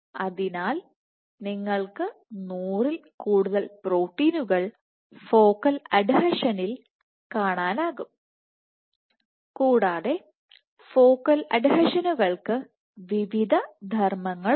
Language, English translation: Malayalam, So, you can have more than 100 proteins localized at focal adhesion and the focal adhesions serve various functions more than 100 proteins